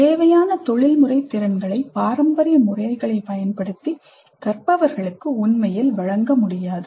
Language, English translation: Tamil, The professional skills required cannot be really imparted to the learners using the traditional methods